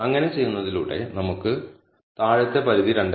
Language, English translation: Malayalam, So, by doing so we get the lower bound as 2